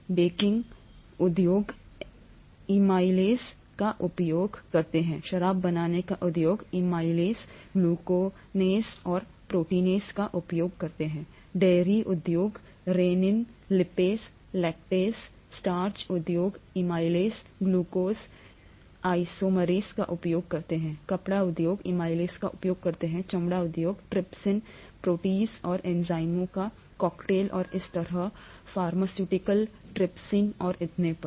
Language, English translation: Hindi, Baking industry uses amylases; brewing industry uses amylases, glucanases and proteases; dairy industry, rennin, lipases, lactases; starch industry uses amylases, glucose isomerase; textile industry uses amylase; leather industry, trypsin, protease and cocktails of enzymes and so on; pharmaceuticals, trypsin and so on, okay